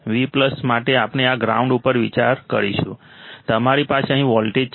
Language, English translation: Gujarati, For Vplus we will be considering this ground, you have voltage here